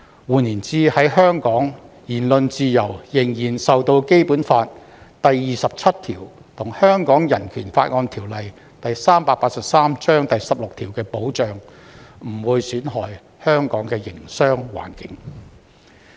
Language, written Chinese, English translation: Cantonese, 換言之，在香港，言論自由仍受《基本法》第二十七條和《香港人權法案條例》第十六條的保障，不會損害香港的營商環境。, In other words freedom of speech in Hong Kong is still protected by Article 27 of the Basic Law and Article 16 of the Hong Kong Bill of Rights Ordinance Cap . 383 and the business environment of Hong Kong will not be damaged